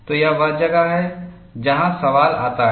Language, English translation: Hindi, So, this is where the question comes